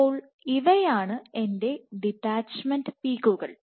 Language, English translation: Malayalam, So, these are my detachment peaks